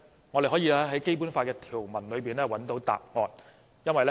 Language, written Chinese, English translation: Cantonese, 我們可以從《基本法》的條文中找到答案。, We can find the answer from the provisions of the Basic Law